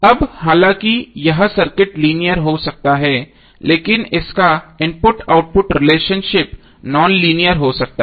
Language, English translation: Hindi, So now these, although this circuit may be linear but its input output relationship may become nonlinear